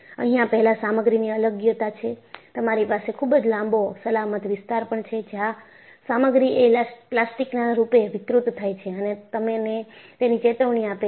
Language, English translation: Gujarati, This whole material separation, you have a very long safe zone, where in, the material deforms plastically and gives you a warning